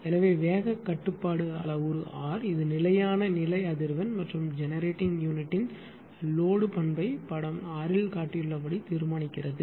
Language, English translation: Tamil, So, the values of speed regulation parameter R it determine the steady state frequency versus load characteristic of the generating unit as shown in figure 6 ah